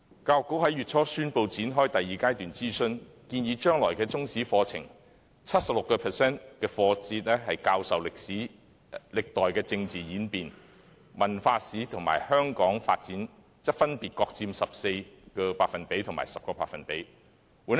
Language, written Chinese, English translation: Cantonese, 教育局在月初宣布展開第二階段諮詢，建議將來的中史課程 ，76% 課節教授歷代政治演變，文化史和香港發展則分別各佔 14% 和 10%。, The Education Bureau announced at the beginning of this month the commencement of the second stage of consultation . It is recommended that in the future curriculum of Chinese History 76 % of the periods will be dedicated to the teaching of historical and political changes whereas cultural history and the development of Hong Kong respectively account for 14 % and 10 %